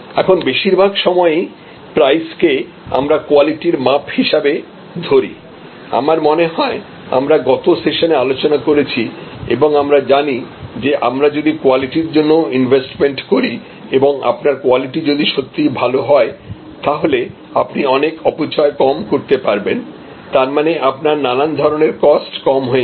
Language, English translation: Bengali, Now, price is often also a signal for quality, we know now as we discussed I think in the previous session that if you invest well in quality and if your quality is really good, then in many ways you will be reducing waste of different kinds, which means you will reduce costs of different kind